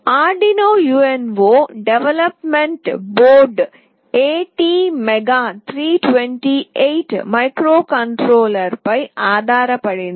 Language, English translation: Telugu, The Arduino UNO development board is based on ATmega 328 microcontroller